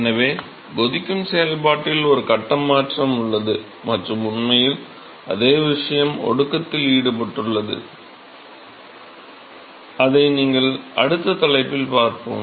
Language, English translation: Tamil, So, there is a phase change is involved in boiling process and in fact, the same thing is involved in condensation which you will next topic if we will look at